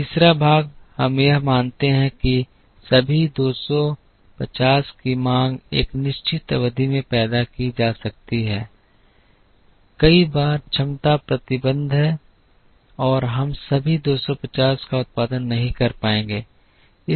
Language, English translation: Hindi, The third part is we assume that the demand all the two hundred and fifty could be produced in a certain period, many times there are capacity restrictions and we would not be able to produce all the 250